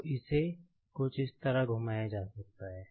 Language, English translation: Hindi, So, it can be rotated something like this